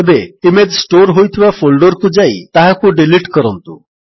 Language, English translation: Odia, Now, go the folder where the image is stored and delete the image